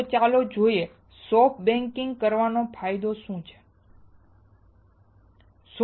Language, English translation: Gujarati, So, let us see what is the advantage of doing soft baking